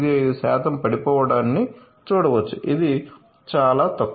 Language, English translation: Telugu, 85 percent which is very minimal